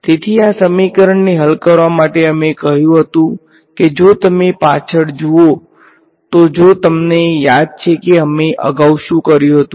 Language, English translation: Gujarati, So, to solve this equation we had said that if you look back if you remember what we did previously